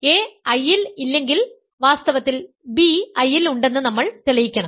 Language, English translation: Malayalam, If a is not in I we will show that in fact, b is in I then